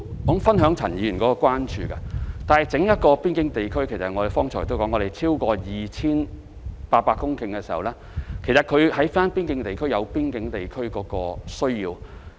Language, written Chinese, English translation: Cantonese, 我剛才已指出，整個邊境地區的面積超過 2,800 公頃，其實邊境地區有邊境地區的需要。, The border zone as I pointed out just now covers a total area of over 2 800 hectares and it has its own needs of facilities